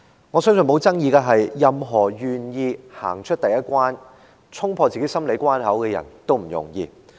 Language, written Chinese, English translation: Cantonese, 我相信沒有爭議的，是任何人願意走出第一步，衝破自己的心理關口都不容易。, I believe there is no dispute that it is not easy for anyone to willingly take the first step to overcome his or her psychological barrier